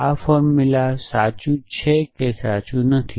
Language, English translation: Gujarati, So, what does this formula true or not true